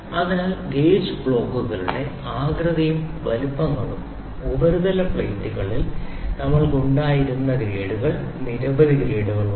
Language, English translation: Malayalam, So, gauge blocks shapes grades and sizes there are several grades like the grades we had in surface plates